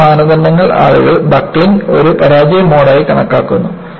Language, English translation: Malayalam, The other criterion is people considered buckling as a failure mode